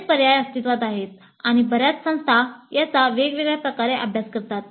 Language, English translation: Marathi, Several options do exist and several institutes practice this in different ways